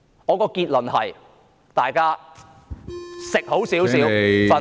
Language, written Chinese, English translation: Cantonese, 我的結論是，大家吃好一點......, My conclusion is Let us all eat well and sleep tight